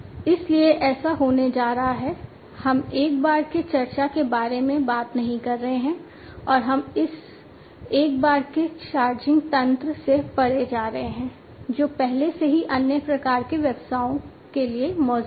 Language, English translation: Hindi, So, there so what is going to happen is we are not talking about a one time kind of charge, and we are going beyond this one time kind of charging mechanism that already exists for other types of businesses